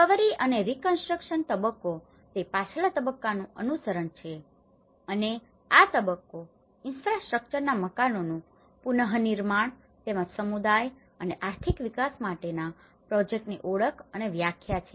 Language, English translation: Gujarati, And in recovery and the reconstruction phase so, it is a follow up on to the previous phase and this phase is the identification and definition of projects to rebuild the houses of infrastructure and as well as, the projects for community and the economic development